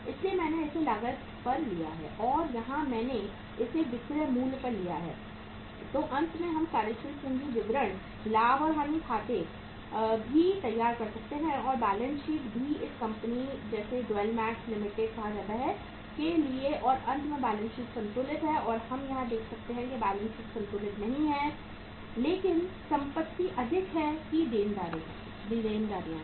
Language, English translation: Hindi, So that is why I have taken it at the cost and here I have taken it at the selling price and finally we are able to prepare the working capital statement also, profit and loss account also and the balance sheet also for this company called as Dwell Max Limited and finally the balance sheet is balanced and we are we are seeing here that balance sheet is not balanced but the assets are more that the liabilities